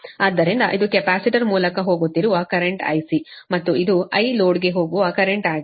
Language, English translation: Kannada, so this is the i c, that is current going to your capacitor and this is the current i going to the load, right